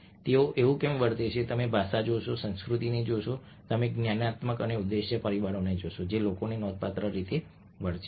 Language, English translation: Gujarati, so you will look at language, you will look at culture, you will look at cognitive and motive factors which we make people behave in significant ways